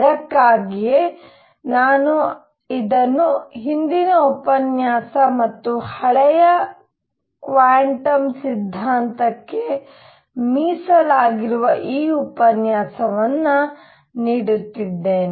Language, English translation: Kannada, That is why I am doing this the previous lecture and this lecture devoted to old quantum theory